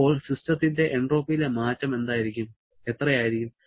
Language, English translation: Malayalam, Then, entropy change for the system will be how much